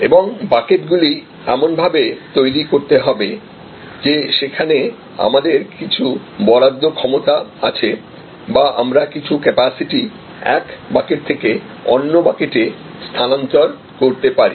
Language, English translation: Bengali, And we have to create the buckets in such a way that they, we have some allocable capacity or we can migrate some capacity from one bucket to the other bucket